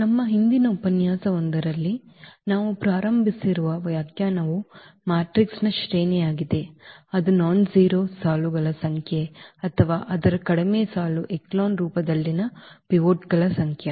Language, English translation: Kannada, And the definition we start with which we have mentioned in one of our previous lecture that is the rank of a matrix is the number of nonzero rows or the number of pivots in its reduced row echelon forms